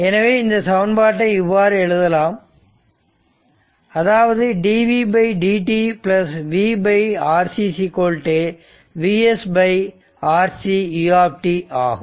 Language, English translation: Tamil, So, this is actually this one if you simplify, it is dv by dt plus v upon R c is equal to V s upon R C U t